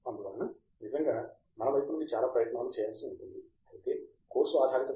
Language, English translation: Telugu, So, that really involves a lot of effort from our side; whereas in a course based program like B